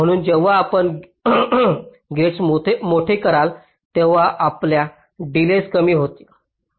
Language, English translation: Marathi, so as you make the gates larger, your delays will become less